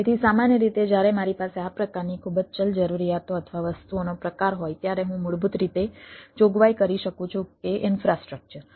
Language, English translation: Gujarati, so usually when i have this type of very ah, variable requirements or type of things, i can basically provision that the infrastructure